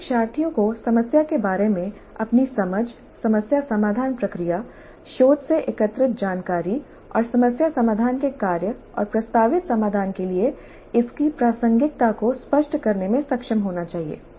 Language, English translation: Hindi, All learners must be able to articulate their understanding of the problem, the problem solving process, the information gathered from research and its relevance to the task of problem solving and the proposed solution